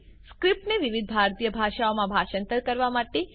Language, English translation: Gujarati, To translate the script into various Indian Languages